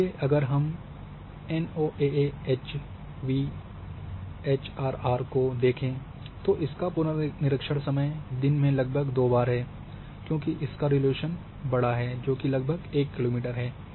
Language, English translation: Hindi, So, if we talk about NOAA AVHRR revisit time is almost twice in a day, because it is having coarser resolution out point 1 kilometre